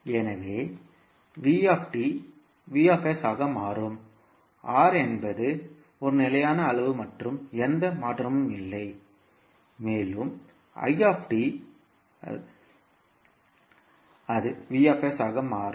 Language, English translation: Tamil, So, vt will become vs, r is a constant quantity there is no change in the r and i t will be converted into i s